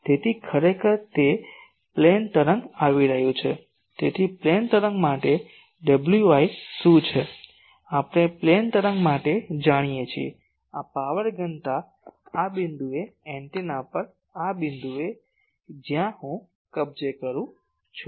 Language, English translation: Gujarati, So, actually it is a plane wave is coming so, what is W i for plane wave we know for plane wave, this power density at this point at this point on the antenna, where I am capturing